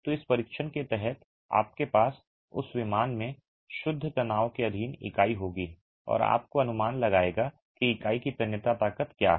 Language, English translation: Hindi, So, under this test you will have the unit subjected to pure tension in that plane and will give you an estimate of what the tensile strength of the unit is